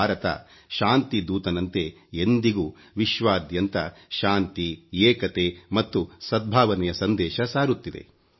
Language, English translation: Kannada, India has always been giving a message of peace, unity and harmony to the world